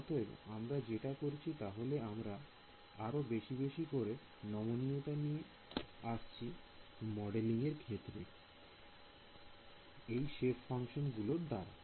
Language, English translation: Bengali, So, what we are doing is, we are bringing in more and more flexibility into modeling the unknown by having these kinds of shape functions over here